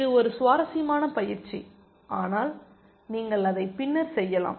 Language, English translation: Tamil, It is an interesting exercise, but you can do that later